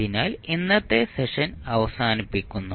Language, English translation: Malayalam, So, with this we close our today’s session